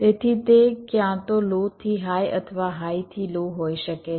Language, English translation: Gujarati, ok, so it can be either low to high or high to low